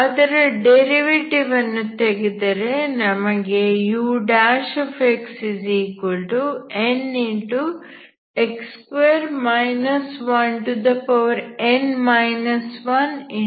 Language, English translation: Kannada, I brought one derivative here so you have un plus 2 of x dx